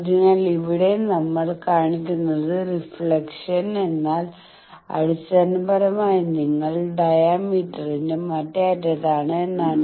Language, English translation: Malayalam, So, here we are showing that reflection means basically you are at the other end of the diameter